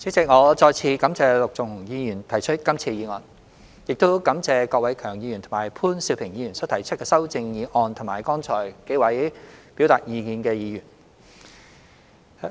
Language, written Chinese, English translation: Cantonese, 主席，我再次感謝陸頌雄議員提出今次議案，亦感謝郭偉强議員和潘兆平議員所提出的修正案及剛才幾位表達意見的議員。, President I would like to thank once again Mr LUK Chung - hung for moving this motion and Mr KWOK Wai - keung and Mr POON Siu - ping for moving the amendments and Members who have just expressed their views